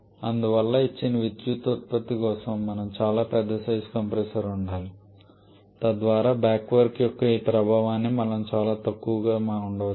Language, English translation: Telugu, Therefore for a given power output we need to have a very large sized compressor so that we can keep this effect of back work quite small